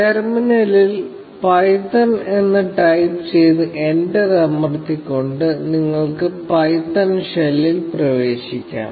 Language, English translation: Malayalam, You can enter the python shell by simply typing in python in the terminal, and pressing enter